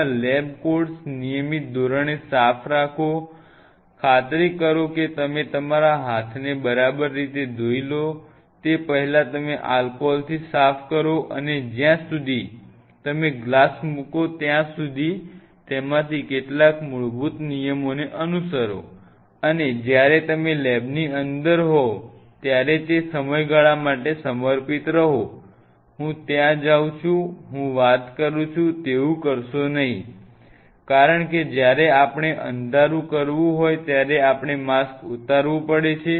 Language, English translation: Gujarati, Have your lab codes clean on regular basis, ensure you wash your hands all the way up here before you kind of you know wiper with the alcohol slightly alcohol just wipe it and before you put on the glass as long as you are following some of these very basic fundamental rules, and when you are inside the lab be dedicated for that period of time do not get you know I am going there is I am talking I am doing like do not do those effect, because when we have to dark we have to remove your mask